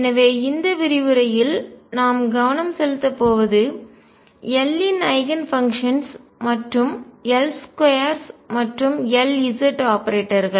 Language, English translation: Tamil, So, what we are going to focus on in this lecture are the Eigenfunctions of L and therefore, L square and L z operators